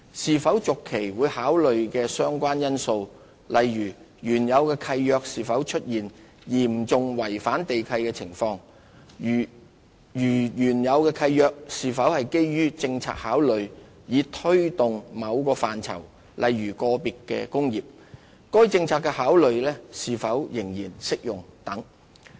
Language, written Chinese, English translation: Cantonese, 是否續期會考慮的相關因素，例如原有契約是否出現嚴重違反地契的情況；如原有契約是基於政策考慮以推動某範疇，該政策考慮是否仍然適用等。, Various factors will be considered on lease extension for example whether serious breaches are found under the original lease; if the original lease was granted on policy considerations for promoting certain objectives whether the policy consideration is still valid